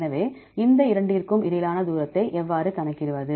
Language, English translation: Tamil, So, how to calculate the distance between these two